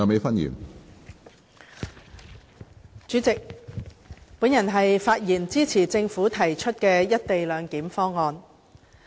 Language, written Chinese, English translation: Cantonese, 主席，我發言支持政府提出的"一地兩檢"方案。, President I speak in support of the co - location proposal of the Government